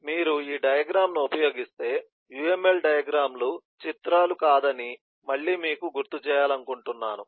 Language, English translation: Telugu, so if you eh use this diagram again, I would like to remind you that uml diagrams are not pictures